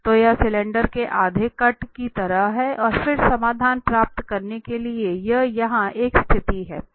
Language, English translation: Hindi, So it is like a half cut of the cylinder and then to get the solution so this is a situation here we have the x axis